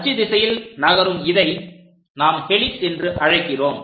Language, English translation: Tamil, They move in that axial direction—such kind of things what we call helix